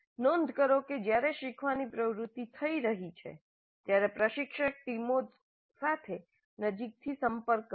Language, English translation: Gujarati, Note that while the learning activity is happening, the instructor is in close touch with the teams